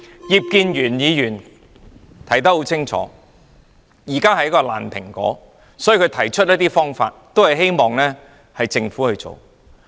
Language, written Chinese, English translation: Cantonese, 葉建源議員說得很清楚，現在的情況是一個爛蘋果，所以他提出一些方法希望政府去做。, Mr IP Kin - yuen has said clearly that the current situation is tantamount to a rotten apple so he proposed some options with the hope that the Government will take them forward